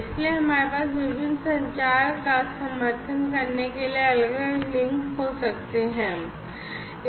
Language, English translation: Hindi, So, we can have different links for you know supporting different communication